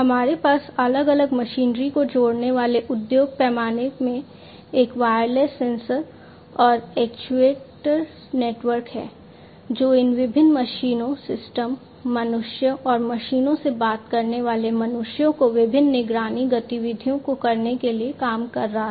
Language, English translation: Hindi, So, we have a wireless sensor and actuator network in the industry scale connecting different machinery, working in order to perform the different monitoring activities of these different machines systems, humans, humans talking to machines, and so on